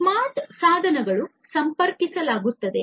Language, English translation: Kannada, The smart devices will be connected